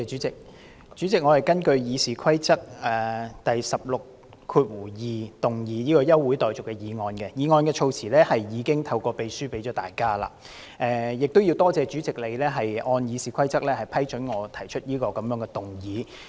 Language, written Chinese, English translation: Cantonese, 主席，我根據《議事規則》第162條動議休會待續議案，議案措辭已透過秘書送交各位同事，我亦感謝主席按《議事規則》批准動議這項議案。, President I move an adjournment motion under Rule 162 of the Rules of Procedure and the wording of which has already been circulated to Members through the Clerk . I would also like to thank the President for permitting me to move this motion under the Rules of Procedure